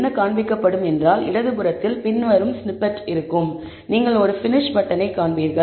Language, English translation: Tamil, What will be displayed is the following snippet on the left, you will see a finish button and you will see a message being displayed